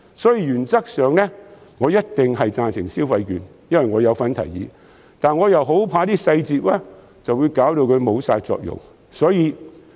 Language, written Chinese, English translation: Cantonese, 因此，原則上我一定贊成派發消費券，因為我有份提議，但我很怕細節會令其失去作用。, Therefore in principle I definitely support the issuance of consumption vouchers because it is my proposal but I am afraid that the details may render it useless